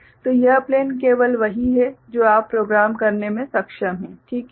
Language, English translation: Hindi, So, this plane is only what you are able to program, is it fine